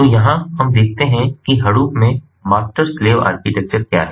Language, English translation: Hindi, so here what we see is the master slave architecture in hadoop